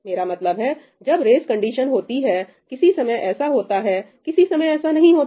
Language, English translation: Hindi, I mean, when a race condition exists, sometimes it happens, sometimes it does not happen